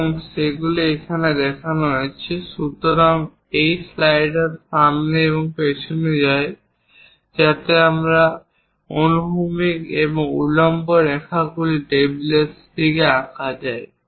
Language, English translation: Bengali, So, these slider goes front and back, so that this horizontal, vertical lines can be drawn in that direction on the table